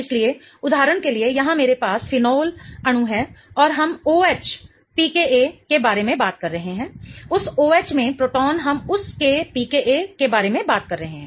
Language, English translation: Hindi, So, for example here in I have a phenol molecule and we are talking about the OH P KA, the proton in that OH, we are talking about the P K of that